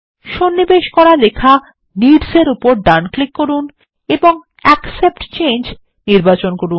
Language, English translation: Bengali, Right click on the inserted text needs and select Accept Change